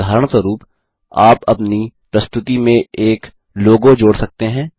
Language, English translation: Hindi, For example, you can add a logo to your presentation